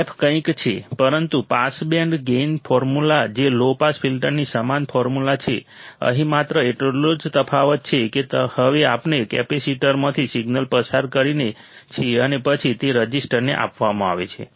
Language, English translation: Gujarati, The f is something, but pass band gain formula which is the same formula of a low pass filter the only difference here is now we are passing the signal through the capacitor and then it is fed to the resistor